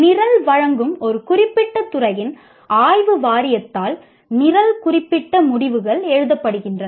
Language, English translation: Tamil, Program specific outcomes are written by the Board of Studies of a particular department offering the program